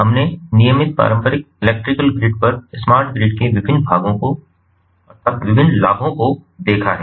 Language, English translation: Hindi, we have already seen the different advantages of smart grid over the regular traditional electrical grid